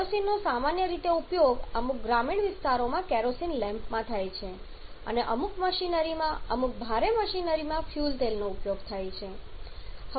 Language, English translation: Gujarati, Kerosene has generally application in the form of in certain rural areas they keep on using the kerosene lamp steel and fuel oil is used as the fuel in certain machineries in certain heavy machinery